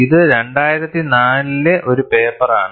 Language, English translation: Malayalam, It is a paper in 2004